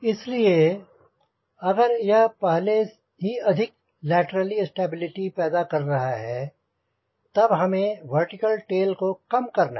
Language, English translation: Hindi, so if this is already producing lot of lateral stability, the size of the vertical tail you can reduce